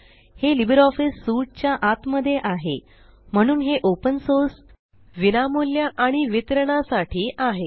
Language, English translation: Marathi, It is bundled inside LibreOffice Suite and hence it is open source, free of cost and free to distribute